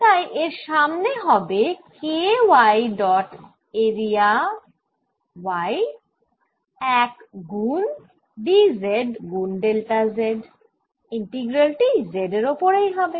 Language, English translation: Bengali, so this is going to be equal to k y dot area y one times d, z times delta z integral over z, it gives me k